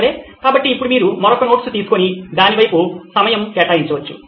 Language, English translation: Telugu, Okay, so now you can take another note and put a time on that side